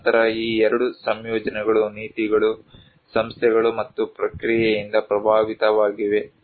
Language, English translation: Kannada, And then these two combined are vice versa influenced by the policies, institutions and the process